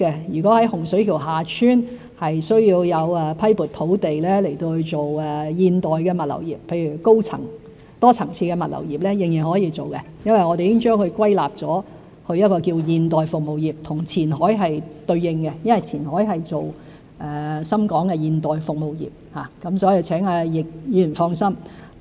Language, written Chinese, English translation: Cantonese, 如果在洪水橋/厦村需要批撥土地發展現代物流業，例如多層次的物流業，仍然是可以的，因我們已將它歸類為現代服務業，和前海是對應的，因為前海是推行深港的現代服務業，所以請易議員放心。, If there is a need to allocate land in Hung Shui KiuHa Tsuen to develop modern logistics industry such as multi - level logistics industry it is still possible because we have classified it as a modern service industry which corresponds to Qianhai where the implementation of modern service industry of Shenzhen and Hong Kong takes place so Mr YICK may rest assured